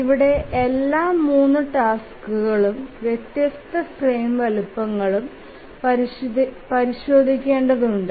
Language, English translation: Malayalam, So that we need to do for all the three tasks for the different frame sizes